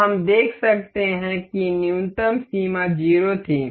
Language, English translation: Hindi, So, we can see the minimum limit was 0